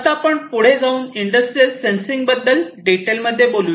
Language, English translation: Marathi, Now let us go ahead and look at sensing, in further detail, industrial sensing